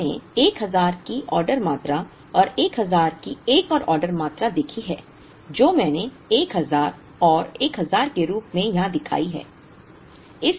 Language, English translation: Hindi, We saw order quantity of 1000 and another order quantity of 1000 which I have shown here as 1000 and 1000